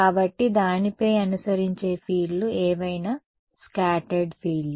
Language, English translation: Telugu, So, whatever fields are following on it are scattered fields right